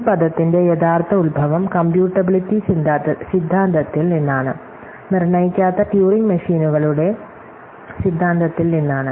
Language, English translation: Malayalam, So, the actual origin of this term comes from computability theory, from theory of non deterministic turing machines